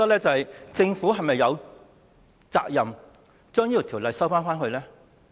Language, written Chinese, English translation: Cantonese, 政府是否有責任把《條例草案》收回？, Does the Government have the responsibility to withdraw the Bill?